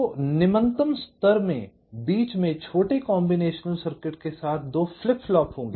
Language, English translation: Hindi, so in the lowest level there will be two flip flop with small combination circuit in between